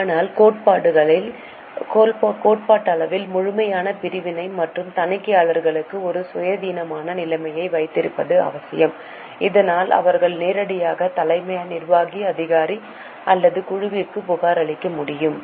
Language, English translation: Tamil, But it is necessary theoretically to have complete separation and have an independent position for auditors so that they can directly report to CEO or to the board